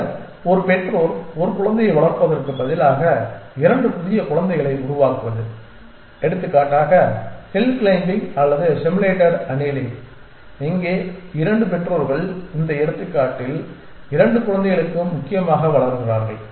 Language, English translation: Tamil, And then generating 2 new children out of it instead of one parent giving rise to one child like for example, hill climbing or simulated annealing here 2 parents give rise to 2 children in this example essentially